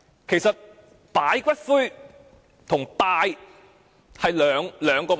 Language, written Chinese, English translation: Cantonese, 其實，擺放骨灰和拜祭是兩個問題。, In fact keeping ashes and paying tribute are two separate issues